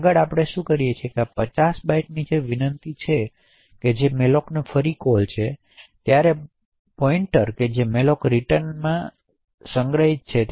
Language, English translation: Gujarati, Next what we do is we invoke malloc again with a request for 50 bytes and the pointer that malloc returns is stored in c